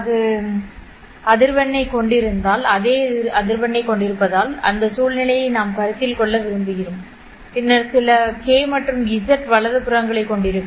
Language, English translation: Tamil, It assume that it will have the same frequency because we want to consider that scenario and then it will have certain k and z